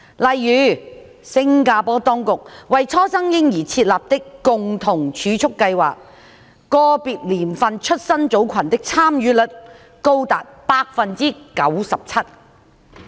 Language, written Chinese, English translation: Cantonese, 例如，新加坡當局為初生嬰兒設立的共同儲蓄計劃，個別年份出生組群的參與率高達百分之九十七。, For instance the take - up rate of the Co - Savings Scheme set up by the Singapore authorities for newborns was as high as 97 % for certain birth cohorts